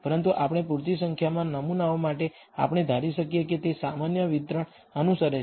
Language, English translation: Gujarati, But we can for large enough number of samples, we can assume that it follows a normal distribution